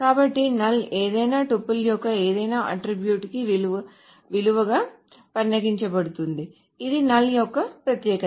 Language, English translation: Telugu, So, null can be considered to be the value for any attribute of any tuple